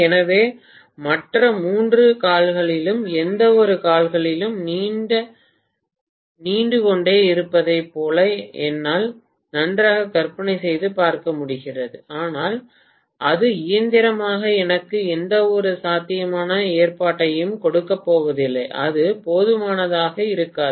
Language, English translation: Tamil, So, I can very well imagine as though from no limb at all three other limbs are protruding but that is not mechanically going to give me any viable arrangement and it is not going to be strong enough